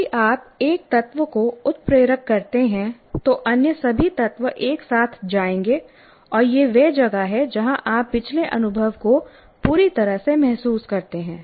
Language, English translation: Hindi, So, anything that you trigger, all the other elements will come together and that is where you feel that the past experience completely